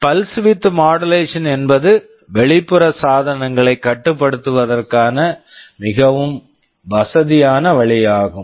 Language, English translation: Tamil, Pulse width modulation is a very convenient way of controlling external devices